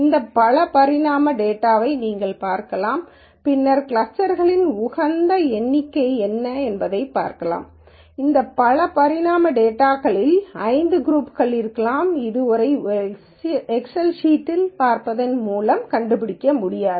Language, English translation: Tamil, And you can look at this multi dimensional data and then look at what is the optimum number of clusters, maybe there are 5 groups in this multi dimensional data which would be impossible to find out by just looking at an excel sheet